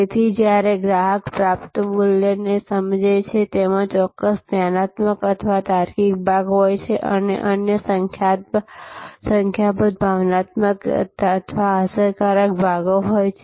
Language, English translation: Gujarati, So, when a customer perceives the value received, in that there is a certain cognitive or logical part and there are number of other emotional or effective parts